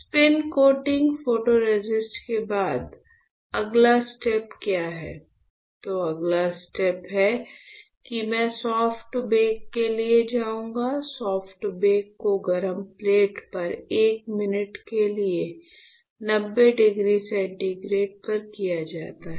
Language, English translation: Hindi, After spin coating photoresist; what is the next step, then the next step is I will go for soft bake, the soft bake is done at 90 degree centigrade for 1 minute on hot plate right